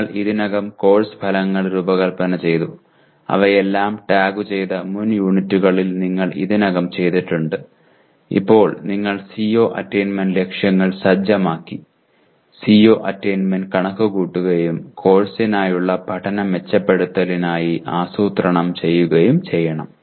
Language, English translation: Malayalam, You take, you have already done in the earlier units you have designed course outcomes, tagged them all and now you set CO attainment targets, compute CO attainment and plan for improvement of learning for the course